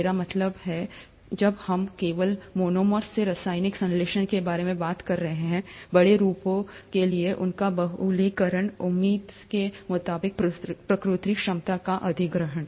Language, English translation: Hindi, I mean all this while we are only talking about chemical synthesis of monomers, their polymerization to larger forms, hopefully acquisition of replicative ability